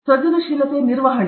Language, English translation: Kannada, Management of creativity